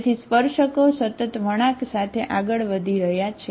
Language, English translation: Gujarati, So the tangents are moving continuously along the curve